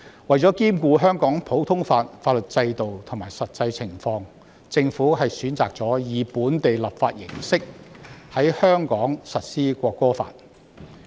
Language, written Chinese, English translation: Cantonese, 為了兼顧香港普通法法律制度及實際情況，政府選擇了以本地立法形式在香港實施《國歌法》。, In order to give due regard to the common law legal system and the actual circumstances in Hong Kong the Government has chosen to implement the National Anthem Law in Hong Kong by local legislation